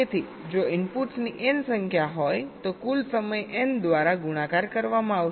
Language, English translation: Gujarati, ok, so if there are the n number of inputs, so the total time will be n multiplied by t